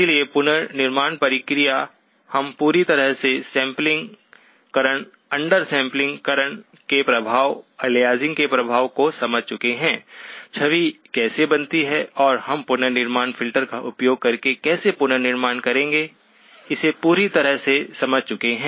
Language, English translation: Hindi, So the reconstruction process, we have completely understood the sampling, the effects of under sampling, the effect of aliasing, how the image is formed and how we will reconstruct using the reconstruction filter